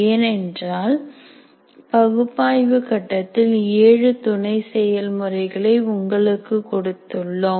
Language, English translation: Tamil, Because we have given you 4 plus 3, 7 sub processes in analysis phase